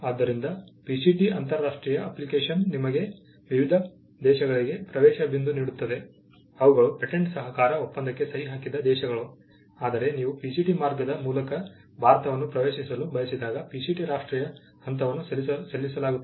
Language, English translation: Kannada, So, the PCT international application gives you an entry point into different countries, which are all signatories to the Patent Cooperation Treaty; whereas, the PCT national phase is filed, when you want to enter India through the PCT route